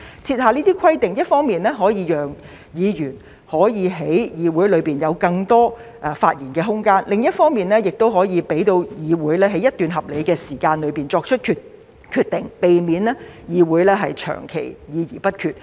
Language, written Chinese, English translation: Cantonese, 設下規定一方面可以讓議員能夠在議會內有更多發言空間，另一方面，亦可以讓議會在一段合理時間內作出決定，避免議會長期議而不決。, The imposition of this regulation can on one hand allow Members to have more room for discussion in the Council and on the other hand allow the Council to make a decision within a reasonable time frame . This is to prevent the Council from engaging in long discussions but without reaching any decision